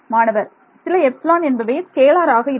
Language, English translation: Tamil, Some epsilon is scalar